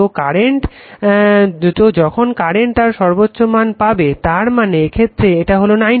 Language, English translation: Bengali, So, when current is when current is reaching its peak; that means, this angle is 90 degree